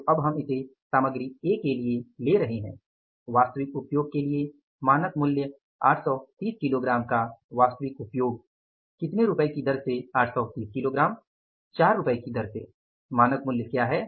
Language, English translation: Hindi, So now we are taking it for the material A standard price for actual usage, actual usage of 830 kages at the rate of 3rd and 30 kages at the rate of rupees 4